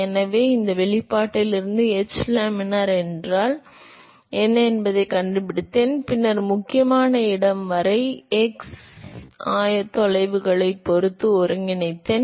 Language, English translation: Tamil, So, I have found out what is h laminar from this expression, and then I integrate with respect to the x coordinates, up to the critical location